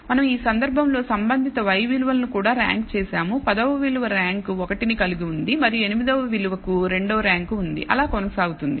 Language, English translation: Telugu, We also ranked the corresponding y values for example, in this case the tenth value has a rank 1 and so on so forth, eighth value has a rank 2 and so, on